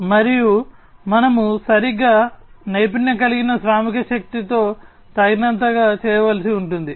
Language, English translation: Telugu, And we will have to be done adequately with properly skilled workforce